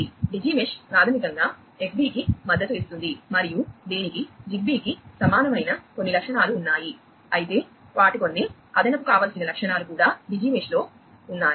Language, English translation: Telugu, So, Digi mesh is basically supported by Xbee and it has certain features that are similar to ZigBee, but certain additional desirable features are also their Digi mesh